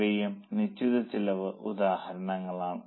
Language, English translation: Malayalam, These are also examples of fixed costs